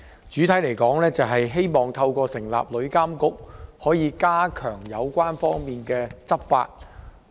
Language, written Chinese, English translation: Cantonese, 整體而言，《條例草案》旨在透過成立旅遊業監管局，加強有關方面的執法。, Generally speaking the Bill seeks to strengthen law enforcement by the relevant parties by setting up the Travel Industry Authority TIA